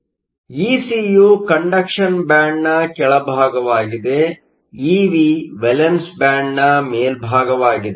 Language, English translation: Kannada, So, Ec is the bottom of the conduction band, Ev is the top of the valence band